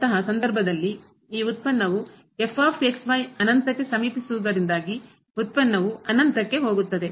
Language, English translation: Kannada, In that case, this product since is approaching to infinity; the product will go to infinity